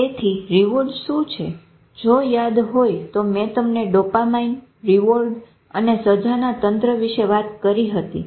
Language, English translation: Gujarati, If remember I talk to you about dopamine and the reward and punishment system